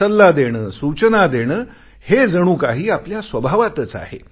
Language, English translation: Marathi, To offer advice or suggest a solution, are part of our nature